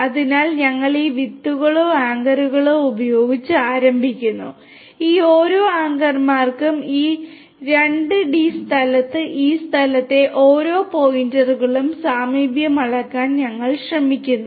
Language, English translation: Malayalam, So, we start with these seeds or the anchors, we try to measure the proximity of each of these points in this space in this 2D space to each of these anchors